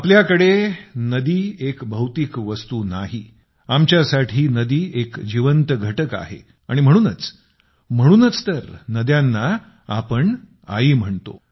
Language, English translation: Marathi, For us, rivers are not mere physical entities; for us a river is a living unit…and that is exactly why we refer to rivers as Mother